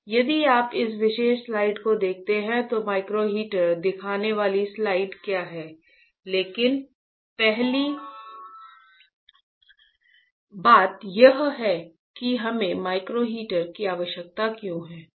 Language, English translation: Hindi, So, if you see this particular slide right what is the slide showing micro heaters, but first thing is why we require a micro heater why